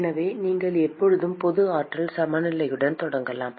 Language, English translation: Tamil, So, you can always start with the general energy balance